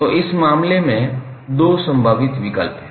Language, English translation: Hindi, So in this case there are two possible options